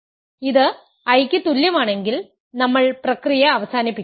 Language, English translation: Malayalam, If it is equal to I, we are done we stop the process